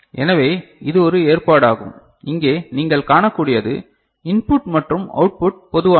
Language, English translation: Tamil, So, this is one such arrangement what you can see over here right this is the you know, input output is common